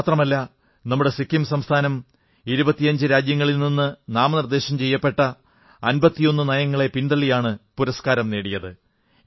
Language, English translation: Malayalam, Not only this, our Sikkim outperformed 51 nominated policies of 25 countries to win this award